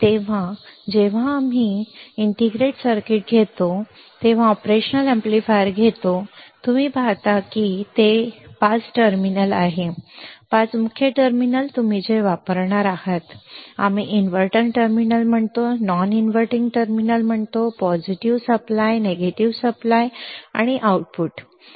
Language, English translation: Marathi, So, when you take our integrated circuit, when you take an operational amplifier, what you see do you see that there are five terminals, five main terminals what you will be using, we say inverting terminal, we say non inverting terminal, we say positive supply, we say negative supply, we say output